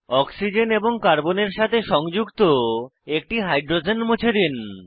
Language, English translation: Bengali, Delete hydrogens attached to one of the oxygen and Carbon